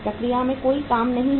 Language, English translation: Hindi, There is no work in process